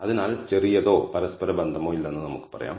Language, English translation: Malayalam, So, we can say there is little or no correlation